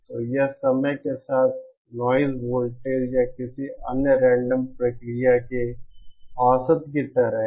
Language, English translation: Hindi, So it is like the average of noise voltage or any other random process with time